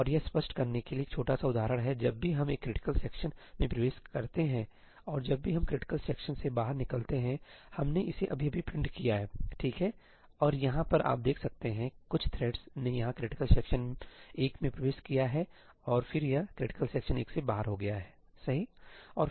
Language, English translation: Hindi, And this is a small example to illustrate that whenever we enter a critical section and whenever we exit the critical section, we have just printed it out, right, and over here you can see, some thread has entered critical section 1 over here and then it got out of critical section 1, right